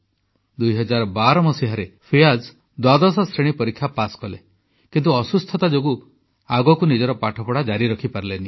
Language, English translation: Odia, Fiaz passed the 12thclass examination in 2012, but due to an illness, he could not continue his studies